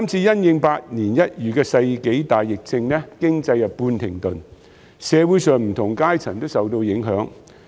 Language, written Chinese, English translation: Cantonese, 由於百年一遇的世紀大疫症，經濟半停頓，社會上不同階層都受到影響。, Due to the once - in - a - century pandemic the economy has been partially halted and people from all walks of life have been affected